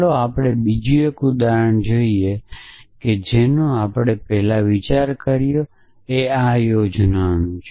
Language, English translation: Gujarati, So, let us look at another a example that we have considered earlier which is that of planning and outing